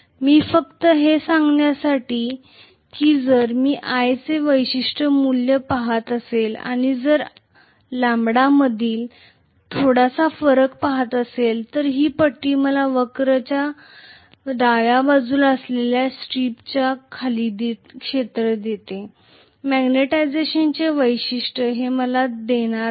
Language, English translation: Marathi, So just to tell that graphically if I am looking at a particular value of i and if I am looking at a small variation in lambda, this strip actually gives me the area under the strip you know in the left side of the curve which is the magnetization characteristics